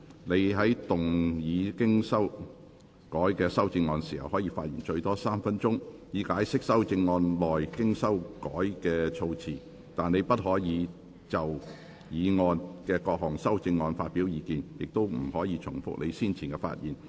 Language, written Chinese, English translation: Cantonese, 你在動議經修改的修正案時，可發言最多3分鐘，以解釋修正案內經修改過的措辭，但你不可再就議案及各項修正案發表意見，亦不可重複你先前的發言。, When moving your revised amendment you may speak for up to three minutes to explain the revised terms in your amendment but you may not express further views on the motion and the amendments nor may you repeat what you have already covered in your earlier speech